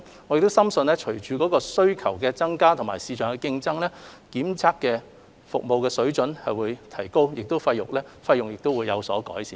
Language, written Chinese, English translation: Cantonese, 我們深信隨着需求增加和市場競爭，檢測的服務水準將會提高，而費用亦會有所改善。, We believe as demand surges and with market competition the quality and the cost of testing would also improve